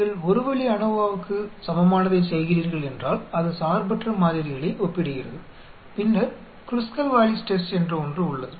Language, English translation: Tamil, If you are doing a One way ANOVA equivalent, that is comparing independent samples then there is something called Kruskal Wallis Test